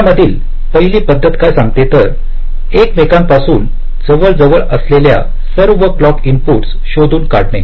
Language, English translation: Marathi, the first strategy says: locate all clock inputs close together